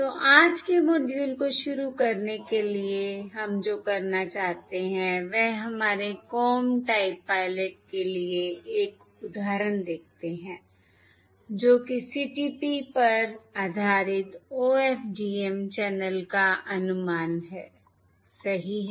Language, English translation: Hindi, So what we want to do, starting todays module, is look at an example for our Comb Type Pilot, that is, CTP, Comb Type Pilot or CTP based OFDM channel estimation